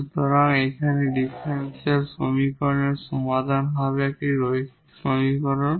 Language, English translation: Bengali, So, this will be the solution here for this given differential equation this linear differential equation